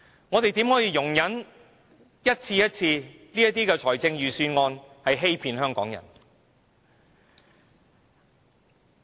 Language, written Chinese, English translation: Cantonese, 我們怎可以一次又一次的容忍預算案欺騙香港人？, How could we time and again condone with the Government using the Budget to cheat its people?